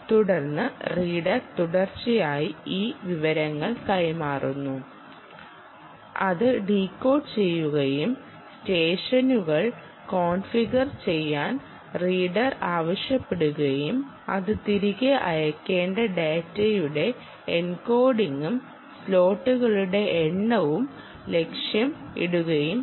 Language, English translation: Malayalam, then reader will continuously be transmitting this information which it will decode and say: ok, reader is has ask me to configure sessions, targets, the encoding of data to be sent back and the number of slots